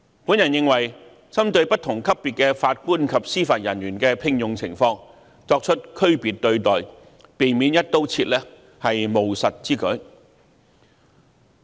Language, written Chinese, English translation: Cantonese, 我認為，針對不同級別的法官及司法人員的聘用情況作出區別對待，避免"一刀切"處理，是務實之舉。, In my opinion it is pragmatic to avoid the across - the - board approach and apply different treatments to deal with the appointment of JJOs at different levels